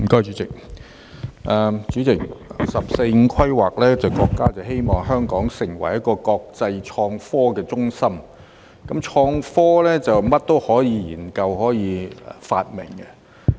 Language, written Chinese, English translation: Cantonese, 主席，根據"十四五"規劃，國家希望香港成為一個國際創科中心，"創科"可以研究和發明任何東西。, Chairman according to the 14th Five - Year Plan our country wants Hong Kong to become an innovation and technology hub and when it comes to innovation and technology anything can be researched and invented